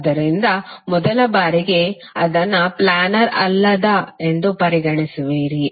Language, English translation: Kannada, So, at the first instance you will consider it as a non planar